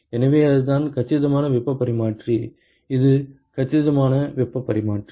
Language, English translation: Tamil, So, that is the compact heat exchanger, this is the compact heat exchanger